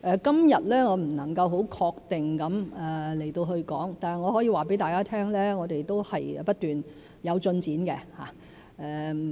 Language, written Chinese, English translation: Cantonese, 今日我不能夠很確定地說，但我可以告訴大家，我們是不斷有進展的。, I cannot say for certain today but I can tell all Honourable Members that we are constantly making headway